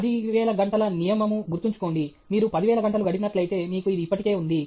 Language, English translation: Telugu, Do remember that 10,000 hour rule; if you spend 10,000 hours, you have it already